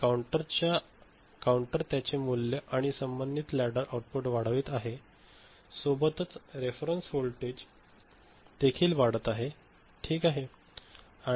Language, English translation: Marathi, And counter is increasing its value and corresponding ladder output, the reference voltage that is also getting increased ok